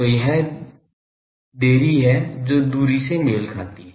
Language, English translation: Hindi, So, this is the delay that delay corresponds to the distance